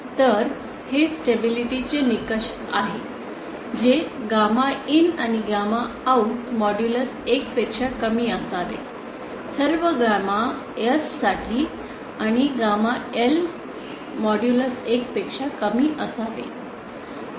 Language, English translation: Marathi, So this is the stability criteria that gamma in should and gamma out modulus should be lesser than 1 for all gamma S and gamma L modulus lesser than 1